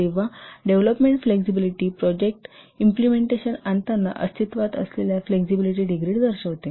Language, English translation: Marathi, Development flexibility represents the degree of flexibility that exists when implementing the project